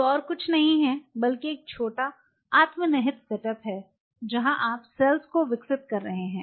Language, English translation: Hindi, Which is nothing, but a small set up where you are growing the cells which is self contained